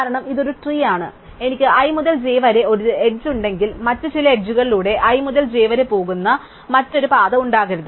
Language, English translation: Malayalam, Now, because it is a tree, if I have an edge from i to j, there cannot be any other path going from i to j by some other edges, because if not that path plus this edge would form a cycle